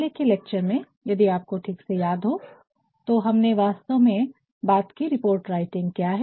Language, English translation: Hindi, In the previous lecture, if you remember well, we actually talked about what a report is how can a report be defined